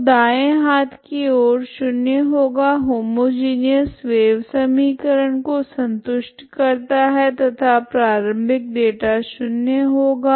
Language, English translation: Hindi, So h right hand side will be 0, simply satisfies the homogeneous wave equation and the initial data will be 0, 0